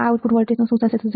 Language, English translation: Gujarati, So, if my output is 0